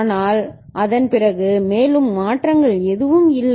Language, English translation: Tamil, But after that no further changes are there